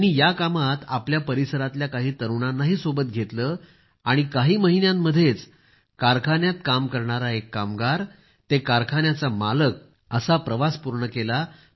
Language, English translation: Marathi, He brought along some youngsters from his area and completed the journey from being a factory worker to becoming a factory owner in a few months ; that too while living in his own house